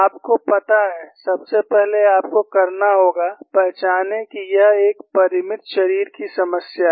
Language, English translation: Hindi, You know, first of all you have to recognize that this is a finite body problem